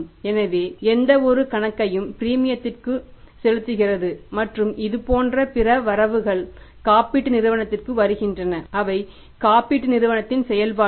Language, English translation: Tamil, So, any inflow on account of the premium and such other inflows are coming to the insurance company, they are operations of the insurance company